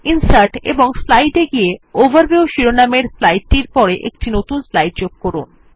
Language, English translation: Bengali, Insert a new slide after the slide titled Overview by clicking on Insert and Slide